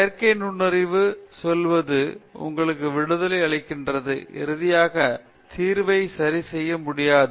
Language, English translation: Tamil, So, the synthetic intelligence, let’s say, gives you the freedom that the solution finally is not fixed